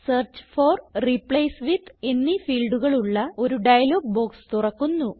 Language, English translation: Malayalam, You see a dialog box appears with a Search for and a Replace with field